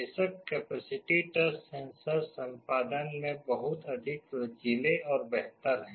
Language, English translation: Hindi, Of course, the capacitive touch sensors are much more flexible and better in terms of performance